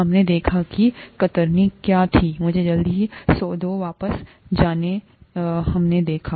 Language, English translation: Hindi, We saw what shear was, let me quickly go back to what we saw